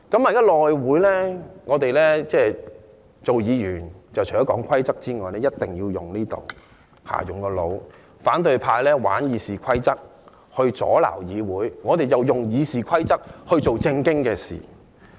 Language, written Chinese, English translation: Cantonese, 現在內會的情況是，議員除了要遵守規則外，亦要運用腦袋，反對派玩弄《議事規則》阻攔議會，我們便用《議事規則》做正經事。, In the House Committee at present apart from conforming to the rules Members also need to use their brains . The opposition camp is playing with the Rules of Procedure to obstruct the operation of the Council whereas we are using the Rules of Procedure to do proper business